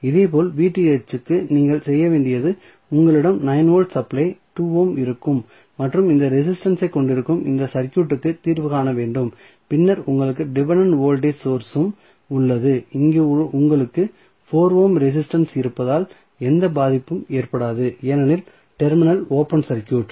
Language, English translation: Tamil, Similarly, for Vth what you have to do you have to just solve this circuit where you have 9 volt supply 2 ohm and you have resistance then you have dependent voltage source and here you have 4 ohm resistance which does not have any impact because the terminal is open circuited